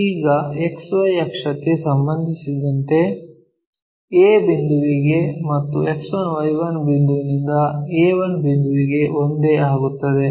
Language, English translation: Kannada, Now, with respect to XY axis oa point from X 1 point all the way to a 1 point becomes one and the same